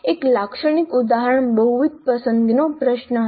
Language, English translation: Gujarati, A typical example would be a multiple choice question